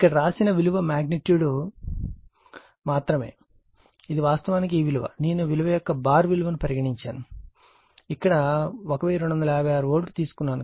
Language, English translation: Telugu, Only magnitude written here, this is actually if I make it, I should make it bar taken here 1256 volt right